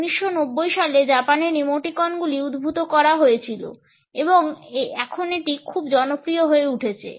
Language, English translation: Bengali, Emoticons originated in Japan in 1990s and have become very popular now